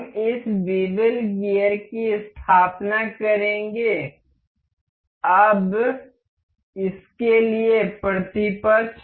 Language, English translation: Hindi, We will set up this bevel gear, now the counterpart for this